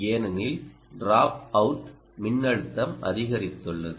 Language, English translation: Tamil, because the dropout voltage ah has increased